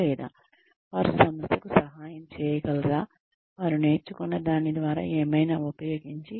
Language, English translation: Telugu, Or, will they be able to help the organization, use whatever, through whatever, they have learnt